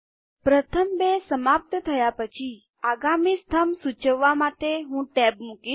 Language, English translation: Gujarati, First two are over then I put a tab to indicate the next column